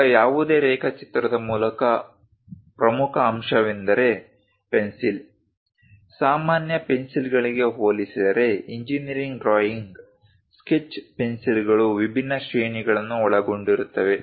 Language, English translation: Kannada, Now the key component for any drawing is pencil ; compared to the ordinary pencils, the engineering drawing sketch pencils consists of different grades